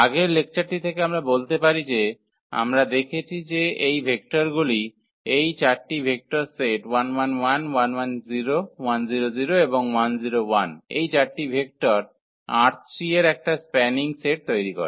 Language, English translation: Bengali, So, just to recall from the previous lecture; so, we have seen that these vectors the set of these 3 vectors are 1 1 1 and 1 1 0 1 0 0 and 1 0 1, these 4 vectors form a spanning set of R 3